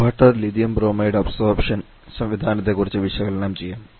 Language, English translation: Malayalam, If let us quickly analyse the water Lithium Bromide absorption system